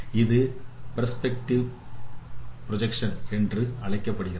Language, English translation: Tamil, That is what is perspective projection